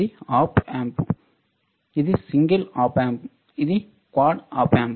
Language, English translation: Telugu, This is Op Amp which is single Op Amp; this is a quad op amp